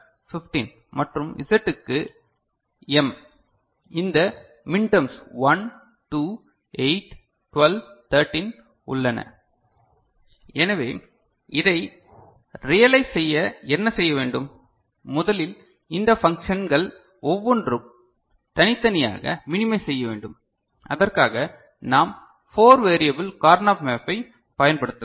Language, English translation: Tamil, W = ∑ m(2,12,13) X = ∑ m(7,8,9,10,11,12,13,14,15) Y = ∑ m(0,2,3,4,5,6,7,8,10,11,15) Z = ∑ m(1,2,8,12,13) So, to realize it what we shall do – first, each of these functions we shall individually minimize, for which we can use 4 variable Karnaugh map